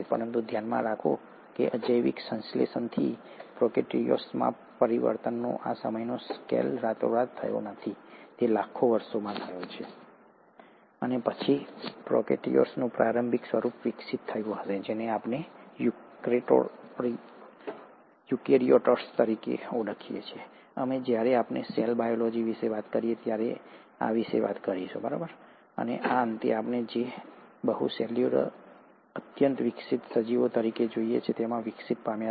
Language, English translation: Gujarati, But mind you, this time scale of change from abiotic synthesis all the way to prokaryotes has not happened overnight, it has happened over millions of years, and then, the earliest form of prokaryotes would have evolved into what we know as eukaryotes, we’ll talk about this when we talk about the cell biology, and would have finally evolved into what we see today as multi cellular highly evolved organisms